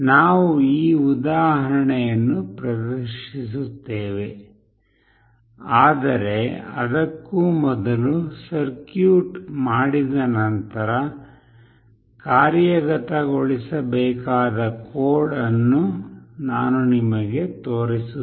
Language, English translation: Kannada, We will be demonstrating this example, but before that I will be showing you the code that is required to be executed after making the circuit